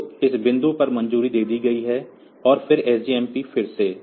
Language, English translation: Hindi, So, that is cleared at this point, and then SJMP again